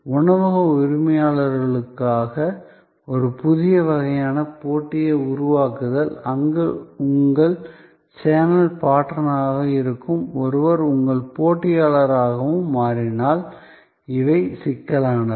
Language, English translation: Tamil, Creating a new kind of competition for the restaurant owners, where somebody who is your channel partner in a way also becomes your competitor, these are complexities